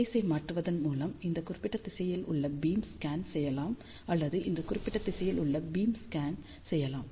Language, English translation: Tamil, So, by changing the phase you can scan the beam in this particular direction or you can also scan the beam in this particular direction